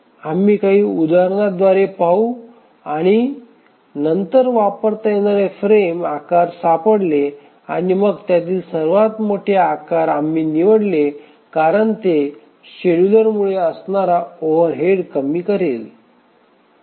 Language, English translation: Marathi, We will see through some examples and then we find the frame sizes which can be used and then we choose the largest of those because that will minimize the overhead due to the scheduler